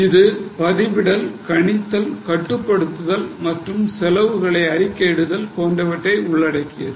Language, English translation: Tamil, It involves recording, estimating, controlling and reporting of costs